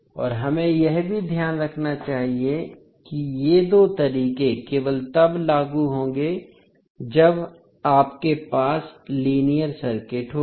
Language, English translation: Hindi, And we have to keep in mind that these two methods will only be applicable when you have the linear circuit